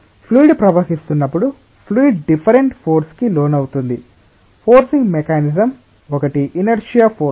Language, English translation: Telugu, So, when the fluid is flowing, the fluid is being subjected to different forces one of the forcing mechanisms is the inertia force